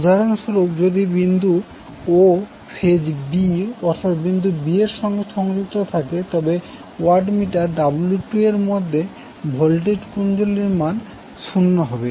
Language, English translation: Bengali, So for example, if point o is connected to the phase b that is point b, the voltage coil in the watt meter W 2 will read 0